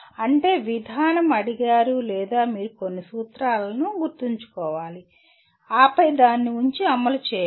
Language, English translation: Telugu, That means the procedure is asked or you have to remember certain sets of formulae and then put that and implement